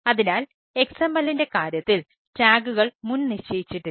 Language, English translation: Malayalam, so in case of xml, tags are not predefine so you can define your own tags